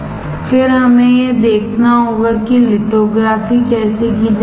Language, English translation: Hindi, Then we have to see how the lithography is done